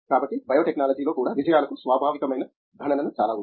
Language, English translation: Telugu, So, even in biotechnology there’s a lot of computation that is inherent to the successes